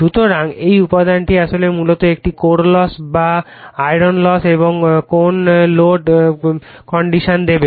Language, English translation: Bengali, So, this component actually basically it will give your core loss or iron loss and the no load condition right